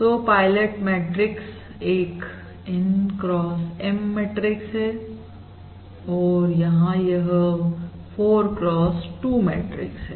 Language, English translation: Hindi, So the pilot matrix is N cross M, that is, it is 4 cross 2 matrix X